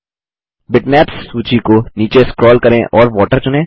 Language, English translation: Hindi, Scroll down the list of bitmaps and select Water